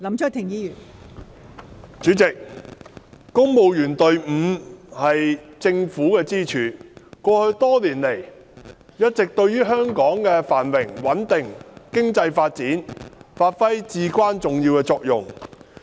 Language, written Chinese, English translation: Cantonese, 代理主席，公務員隊伍是政府的支柱，過去多年來，一直對香港的繁榮、穩定、經濟發展發揮至關重要的作用。, Deputy President the civil service is a pillar of the Government . Over the years it has always played a critical role in the prosperity stability and economic development of Hong Kong